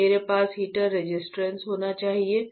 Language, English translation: Hindi, So, I should have a heater resistance